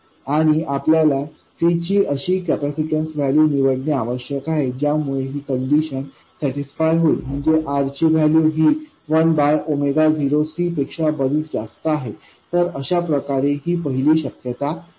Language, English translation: Marathi, And you have to choose the capacitance value C such that this one is also satisfied, that is, r is much greater than 1 by omega 0 C